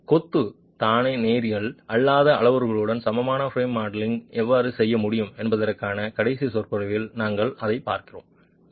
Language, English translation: Tamil, So, we look at that in the last lecture on how you could do an equivalent frame modelling with non linear parameters for the masonry itself